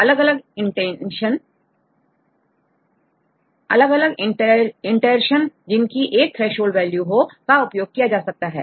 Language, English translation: Hindi, They can use different iterations with a threshold value